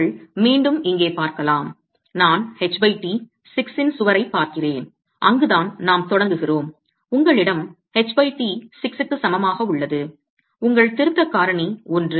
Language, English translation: Tamil, And you can again see here that if I am looking at a wall of 6, H by T of 6, that's where we start, you have a H by t of equal to 6, you have 0, I mean your correction factors 1